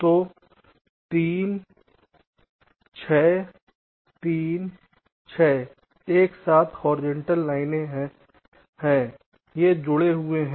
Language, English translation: Hindi, so three, six, three, six together is connected to one by a horizontal line